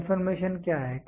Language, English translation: Hindi, What is confirmation